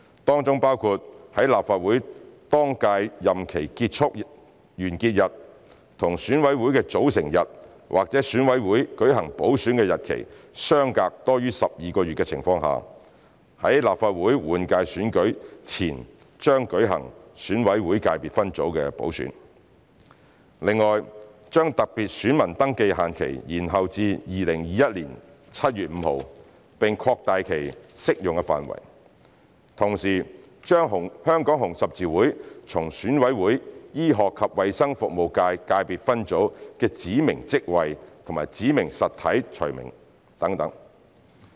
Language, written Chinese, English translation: Cantonese, 當中包括在立法會當屆任期完結日與選委會的組成日或選委會舉行補選的日期相隔多於12個月的情況下，在立法會換屆選舉前將舉行選委會界別分組補選；另外，將特別選民登記限期延後至2021年7月5日，並擴大其適用範圍；同時，把香港紅十字會從選委會醫學及衞生服務界界別分組的指明職位及指明實體除名等。, In addition to the main concerns mentioned above we have also accepted the views collected in the Bills Committee and the community and decided to amend some parts of the Bill including specifying that if the date on which the current term of office of the Legislative Council is to end is more than 12 months from the constitution date of EC or the date of holding the ECSS by - election then an ECSS by - election should be held before the general election of the Legislative Council . In addition the special VR deadline will be extended to 5 July 2021 and the application scope of the special VR will be expanded . At the same time the Hong Kong Red Cross will be removed from the list of specified offices and specified entities of ECs medical and health services subsector